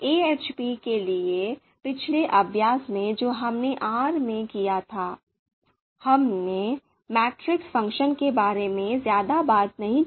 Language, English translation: Hindi, So in the last exercise for AHP that we did in R, we did not talk about we did not talk much about the matrix function